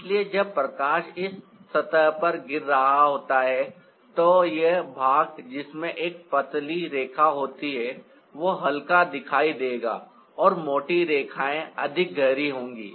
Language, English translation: Hindi, so when the light is falling on this surface, this part which has a thinner line will appear lighter and the thicker lines will be the darker